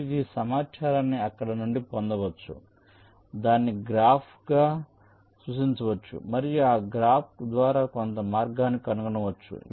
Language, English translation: Telugu, you can get this information from there, represent it as a graph and find some path through that graph